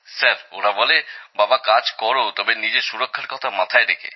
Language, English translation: Bengali, Sir, they say, "Papa, work…but do it with along with your own safety